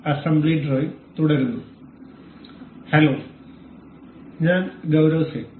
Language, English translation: Malayalam, Hello everyone, I am Gaurav Singh